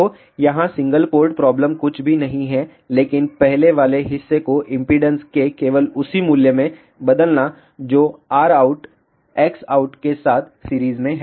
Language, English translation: Hindi, So, the single port problem here is nothing but replacement of the earlier portion into just the corresponding value of the impedance which is R out in series with X out